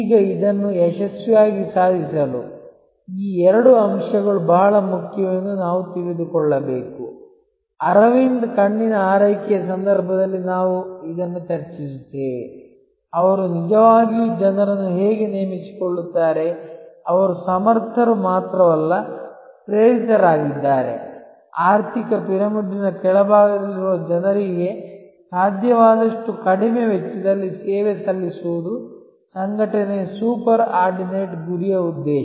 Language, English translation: Kannada, Now, to achieve this successfully, we have to also know that these two factors are very important, we discuss this in the context of the Aravind Eye Care, that how they actually recruit people, who are not only competent, but also are inspired by the mission by the super ordinate goal of the organization, which is to serve people at the bottom of the economic pyramid at the lowest possible cost